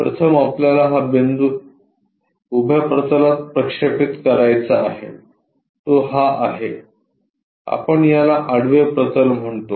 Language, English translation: Marathi, First thing we have to project this point onto vertical plane the vertical plane is this one, let us call this one this is horizontal plane